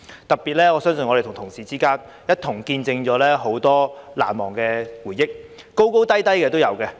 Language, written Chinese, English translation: Cantonese, 特別是我相信我們同事一起見證了很多事情，有難忘的回憶，高高低低都有。, In particular I believe that our colleagues have witnessed many happenings together ups and downs included and are left with unforgettable memories